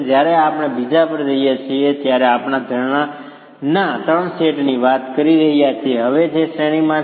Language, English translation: Gujarati, The moment we go to the other one, we are talking of three sets of springs which are in series now